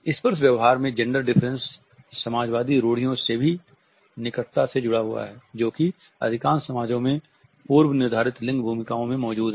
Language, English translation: Hindi, Gender differences in touching behavior are also closely linked to the socialist stereotypes which exist in most of the societies about prefix gender roles